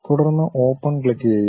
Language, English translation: Malayalam, Then click Open